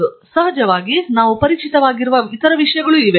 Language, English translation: Kannada, And of course, there are also other things that we must be familiar